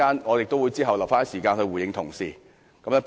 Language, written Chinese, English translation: Cantonese, 我會預留一些時間在稍後回應同事的發言。, I will reserve some time to respond to the speeches of Honourable colleagues later